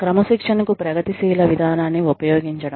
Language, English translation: Telugu, Using a non progressive approach to discipline